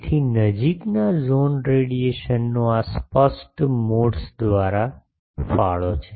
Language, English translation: Gujarati, So, near zone radiation is contributed by these evanescent modes